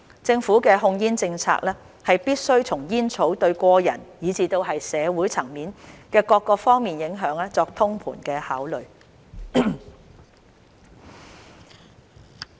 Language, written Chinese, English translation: Cantonese, 政府的控煙政策必須從煙草對個人以至社會層面的各方面影響作通盤考慮。, Government policy on tobacco control must adopt a holistic approach taking account of the impact of tobacco on individuals and all aspects of society at large